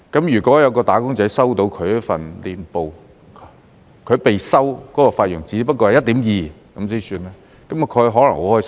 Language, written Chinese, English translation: Cantonese, 如果有"打工仔"收到年報，他被收取的費用只不過是 1.2%， 他可能很開心。, If a wage earner receives an annual statement showing that the fee charged is only 1.2 % he may be very happy